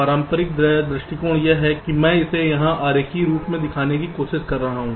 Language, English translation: Hindi, the conventional approach is that i am just trying to show it diagrammatically here